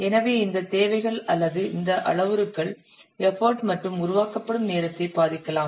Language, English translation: Tamil, So these requirements or these parameters may affect the effort and development time